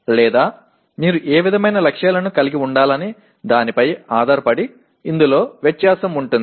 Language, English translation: Telugu, Or depending on what kind of targets that you want to have these can differ